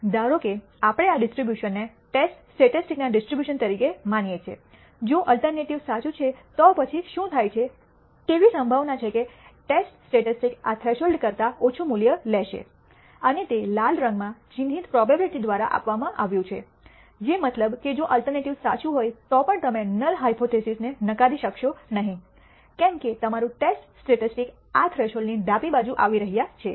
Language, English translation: Gujarati, Suppose we consider this distribution as the distribution of the test statistic if the alternative is true, then what happens is there is a probability that the test statistic will take a value less than this threshold and that is given by the probability marked in red, which means that even if the alternative is true you will not reject the null hypothesis because your test statistic is falling to the left of this threshold